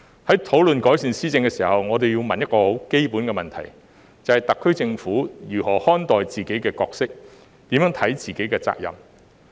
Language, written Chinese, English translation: Cantonese, 在討論改善施政時，我要問一個很基本的問題，便是特區政府如何看待自己的角色、如何看待自己的責任？, In the discussion of improving governance I have to ask a very fundamental question and that is How is the SAR Government looking at its own roles and its own responsibilities?